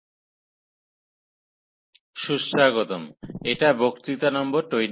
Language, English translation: Bengali, So, welcome back, this is lecture number 28